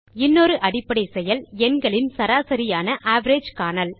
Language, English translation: Tamil, Another basic operation in a spreadsheet is finding the Average of numbers